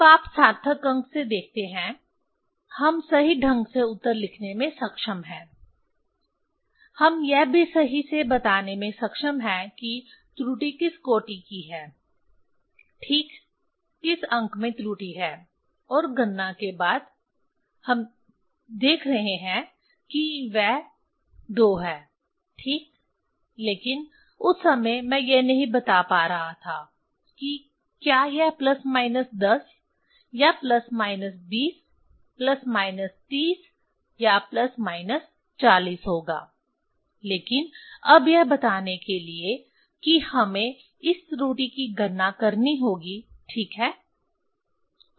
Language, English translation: Hindi, Now, you see from significant figure, we are able to write correctly the answer also we are able to tell correctly the error in which order ok, in which digit the error is there and after calculation we are seeing exactly that is 2 right, so, but that time I was not able to tell this whether it will be plus minus 10 or plus minus 20, plus minus 30 or plus minus 40 ok, but now to gave that one we have to calculate the this error ok